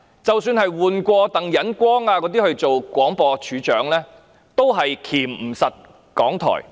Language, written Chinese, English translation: Cantonese, 即使換了鄧忍光出任廣播處長，也無法箝制港台。, Despite appointing Roy TANG to take over as the Director of Broadcasting the authorities could not clamp down on RTHK